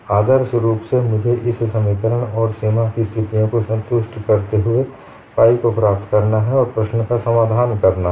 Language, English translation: Hindi, Ideally I have to get phi satisfying this equation and the boundary conditions and solve the problem